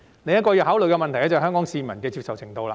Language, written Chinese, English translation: Cantonese, 另一個要考慮的問題，是香港市民的接受程度。, Another issue to be considered is the acceptability of Hong Kong people